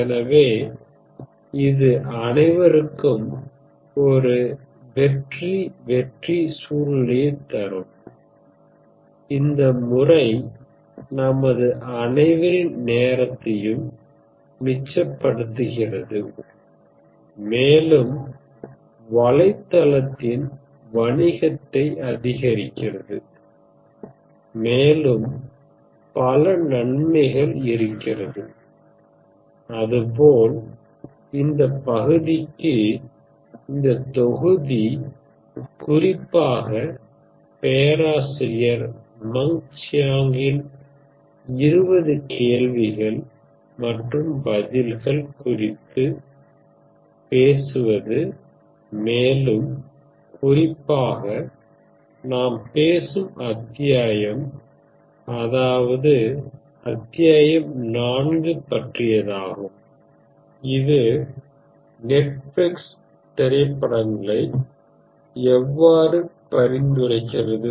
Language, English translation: Tamil, So it is a win win situation for everyone, it saves your time, increases the business of the website and so on and for this part this module will be referring in particular to this very interesting book and in particular the chapter on the book by Professor Mung Chiang titled “Networked Life: 20 Questions and Answers” by Princeton, Princeton University and the chapter that we are talking about is Chapter 4, which is “How does Netflix recommend movies